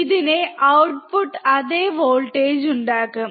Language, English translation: Malayalam, It will have the same voltage as the output